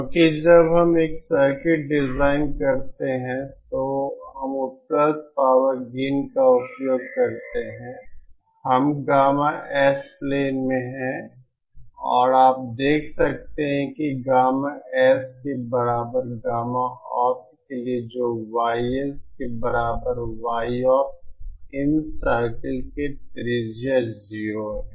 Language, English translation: Hindi, Because when we design a circuit using the available power of gain circle we are in the gamma S plain and you can see that for gamma S equal to gamma opt that is for YS equal Y opt the radius of these circles is 0